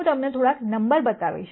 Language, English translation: Gujarati, I will just show you some numbers